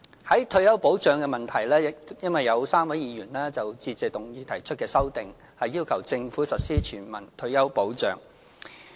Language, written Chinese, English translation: Cantonese, 在退休保障的問題方面 ，3 位議員就致謝議案提出修訂，要求政府實施全民退休保障。, As regards retirement protection amendments have been proposed by three Honourable Members to the Motion of Thanks to call on the Government to implement universal retirement protection